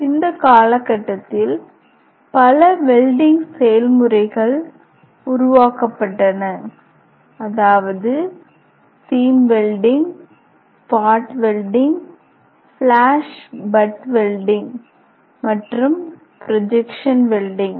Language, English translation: Tamil, So, a number of other welding process are develop during this period also, that is seam welding, spot welding, flash butt welding, and projection welding